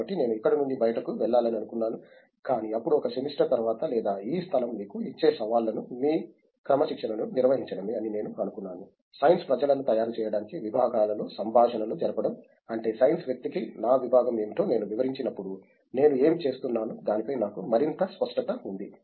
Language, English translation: Telugu, So, I thought maybe I should move out from here, but then after a semester or so I thought the kind of challenges this place gives you is to define your discipline, is to have a dialogue across disciplines to make the science people I mean when I explain what my discipline is to a science person I have more clarity over what I am doing